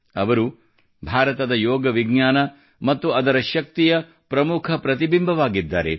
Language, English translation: Kannada, She has become a prominent face of India's science of yoga and its strength, in the world